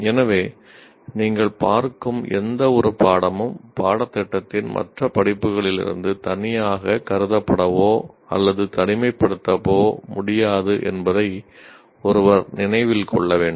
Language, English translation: Tamil, So any course that you look at should be, one should remember that course cannot be considered or seen in isolation from the other courses of the program